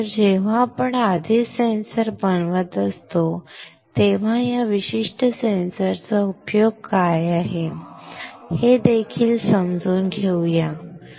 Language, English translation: Marathi, So, when we are already making a sensor let us also understand what is a use of this particular sensor, right